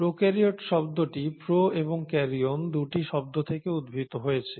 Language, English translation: Bengali, The term prokaryotes is derived from 2 words, pro and Karyon